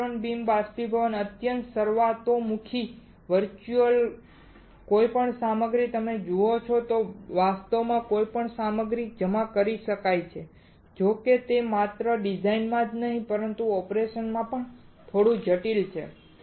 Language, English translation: Gujarati, Electron beam evaporation is extremely versatile virtually any material you see virtually any material can be deposited; however, it is little bit complex not only in design, but also in operation alright